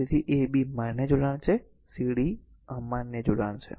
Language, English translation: Gujarati, So, a b are valid connection c d are invalid connection